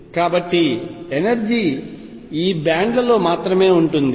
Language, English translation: Telugu, So, energy lies only in these bands